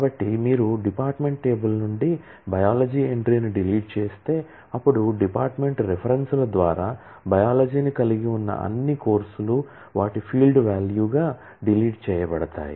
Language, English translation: Telugu, So, if you delete the biology entry from the department table, then all courses which have biology through references to department as their field value should also get deleted